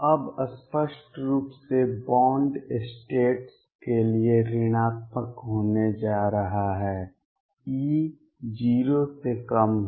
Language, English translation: Hindi, Now obviously, for bound states is going to be negative, E is less than 0